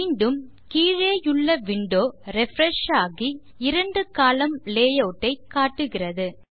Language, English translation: Tamil, Again the window below has refreshed to show a two column layout